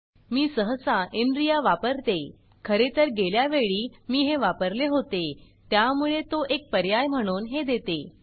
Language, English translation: Marathi, I generally use inria, in fact, the last time I used this, so it gives this as an option